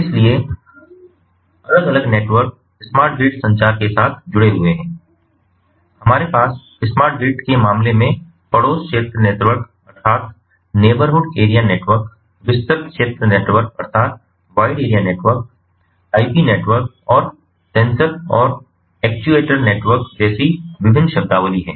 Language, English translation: Hindi, in the case of smart grid, we have different terminologies like neighborhood area network, wide area network, ip network and sensor and actuator networks